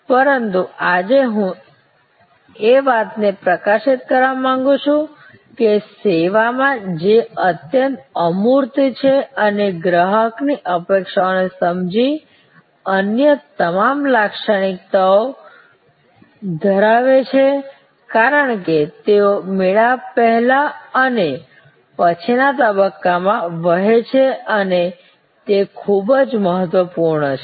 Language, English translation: Gujarati, But, today I would like to highlight that in service which is highly intangible and has all those other characteristics understanding customer expectation as they flow from pre encounter to encounter to post encounter stage is very important